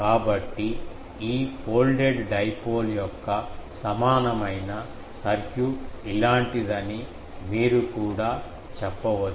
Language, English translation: Telugu, So, you can also say that equivalent circuit of this folded dipole is something like this